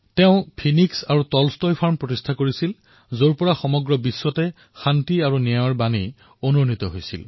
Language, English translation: Assamese, He also founded the Phoenix and Tolstoy Farms, from where the demand for peace and justice echoed to the whole world